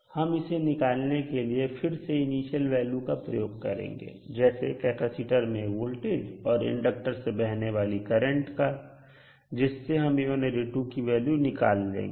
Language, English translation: Hindi, We can again use the initial values of current and voltage that is current flowing through the inductor and voltage across the capacitor to find out the value of A1 and A2